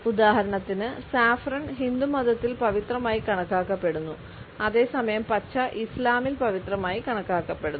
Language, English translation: Malayalam, For example, Saffron is considered sacred in Hinduism whereas, green is considered to be sacred in Islam